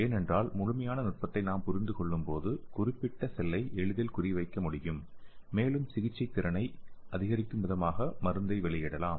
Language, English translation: Tamil, Because if when we understand the complete mechanism then we can easily target to the particular cell and also we can release the drug to increase the therapeutic efficiency